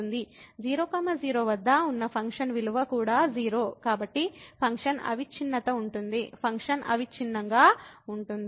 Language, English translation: Telugu, And the function value at is also 0, so the function is continuous; function is continuous